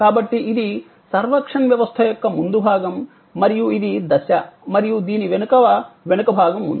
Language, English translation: Telugu, So, this is the front stage of the servuction system and this is the on stage and behind is this is the back stage